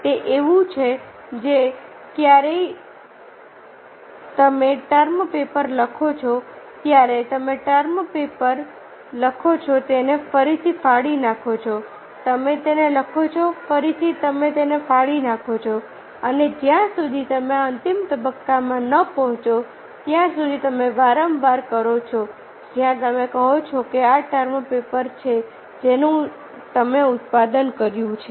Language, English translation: Gujarati, it is just like when you are writing a term paper: you write the term paper, tear it again, you write it again, you tear it and you do it again and again till you reach a final stage where you say this is the term paper you have produced